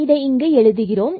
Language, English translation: Tamil, So, this will be 2